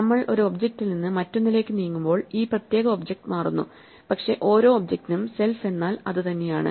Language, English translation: Malayalam, Now this particular object changes as we move from one object to another, but for every object self is itself